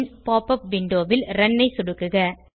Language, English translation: Tamil, Then click on Run in the pop up window